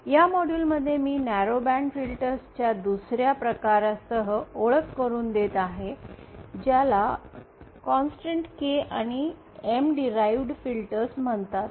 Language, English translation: Marathi, In this module I will be introducing to another class of narrow band filters called constant K and M derived filters